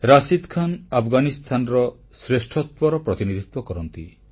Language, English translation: Odia, Rashid represents what constitutes the best of Afghanistan